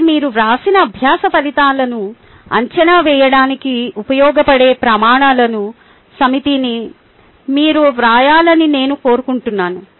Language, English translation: Telugu, so i want you to write is set of criteria which can be used to evaluate the learning outcomes that you have written